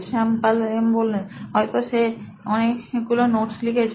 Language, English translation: Bengali, Shyam Paul M: He might be taking a lot of notes